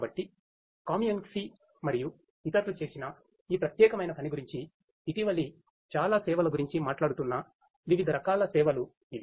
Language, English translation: Telugu, So, these are the different types of services that this particular work by Kamienski et al in a very recent work talks about